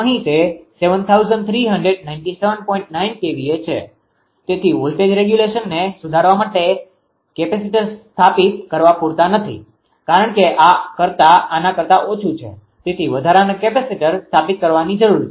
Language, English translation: Gujarati, 9 KVA therefore, the capacitor installed to improve the voltage regulation are not adequate, right because this is less than this one therefore, additional capacitor installation is required